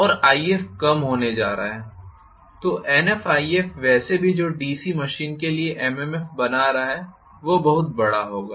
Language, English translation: Hindi, And If is going to be small so Nf times If anyway which is making for the MMF of the DC machine that will be pretty much large